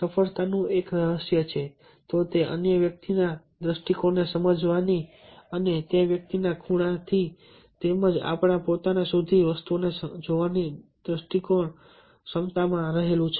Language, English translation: Gujarati, if there is any one secret of success, it lies in the ability to get the other persons point of view and see things from that persons angle as well as from our own